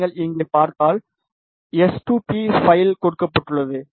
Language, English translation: Tamil, If you see here, they have not given the s2p file